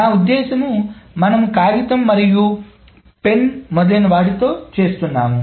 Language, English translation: Telugu, I mean, we have been doing with paper and pen, etc